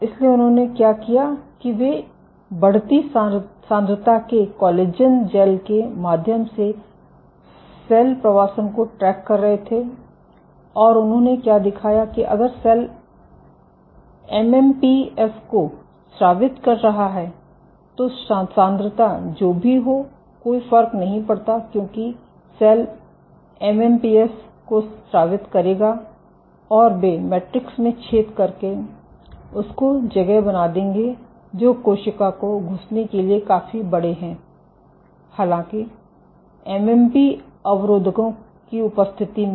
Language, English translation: Hindi, So, what they did was they tracked cell migration through collagen gels of increasing concentration, and what they showed that if the cell is secreting MMPs then whatever be the concentration does not matter because the cell will secrete MMPs and they will degrade the matrix thereby making holes, which are big enough for the cell to squeeze; however, in the presence of MMP inhibitors